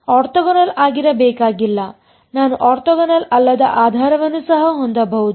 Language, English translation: Kannada, Need not be orthogonal, I can have non orthogonal basis also